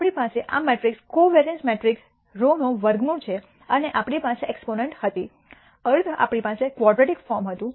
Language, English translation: Gujarati, We have the square root of this matrix covariance matrix sigma and we had exponents minus half we had a quadratic form